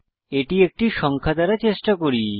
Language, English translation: Bengali, Let us try this with a digit